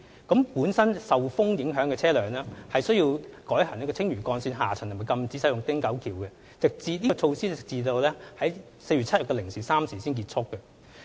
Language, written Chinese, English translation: Cantonese, 易受強風影響的車輛須改行青嶼幹線下層及禁止使用汀九橋，有關措施直至4月7日凌晨3時才取消。, Wind susceptible vehicles were diverted to use the lower deck of the Lantau Link and were banned from using the Ting Kau Bridge . This measure remained in force until 3col00 am on 7 April